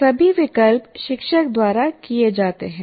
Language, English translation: Hindi, So all the choices are made by the teacher